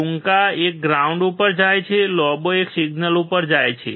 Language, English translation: Gujarati, Shorter one goes to ground; Longer one goes to the signal